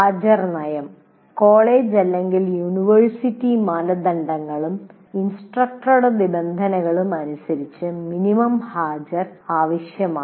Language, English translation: Malayalam, The minimum attendance required as per the college, university norms, and are the stipulations of the instructor